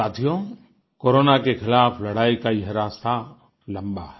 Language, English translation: Hindi, the path of our fight against Corona goes a long way